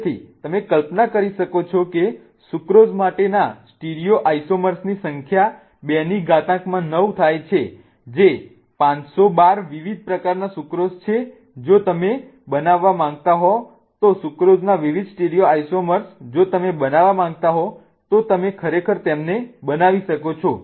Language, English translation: Gujarati, So, you can imagine that the number of stereo isomers for sucrose goes 2 raise to 9 that is 512 different types of sucrose if you want to make, different stereosomers of sucrose if you want to make, you can really make them